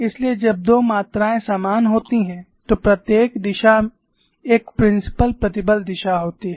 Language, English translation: Hindi, So, when two quantities are equal, every direction is a principle stress direction